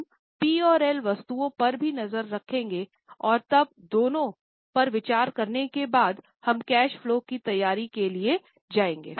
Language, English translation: Hindi, We will also have a look at P&L items and then after considering both we will go for preparation of cash flow